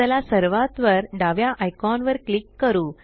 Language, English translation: Marathi, Let us click once on the top left icon